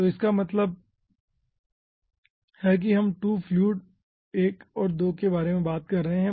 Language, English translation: Hindi, so that means let say we are talking about 2 fluids, 1 and 2